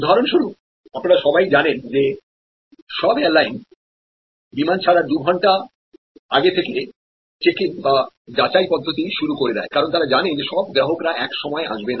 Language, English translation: Bengali, For example, as you all of you know that all airlines one due to check in two hours before the flight time, what they are trying to do is they know that the arrival of customer's will be varying with time